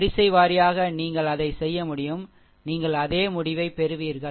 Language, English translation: Tamil, Row wise also you can do it, you will get the same result